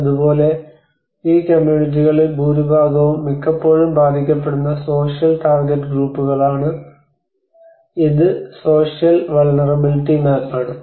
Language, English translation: Malayalam, Similarly, the social the target groups which are actually which are the most of these communities which are often affected and this is the social vulnerability map